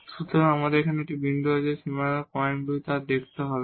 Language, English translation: Bengali, So, we have one point and none the boundary points we have to look